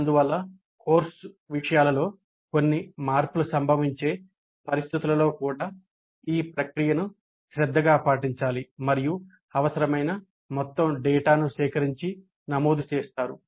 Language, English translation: Telugu, Thus, even in situations where there are likely to be some changes in the course contents, the process should be followed diligently and all the data required is collected and recorded